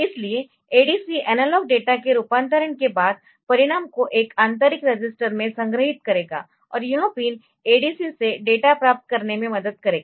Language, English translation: Hindi, So, so ADC will store the result in an internal register after conversion of analog data, and this pin will help to get the data out of ADC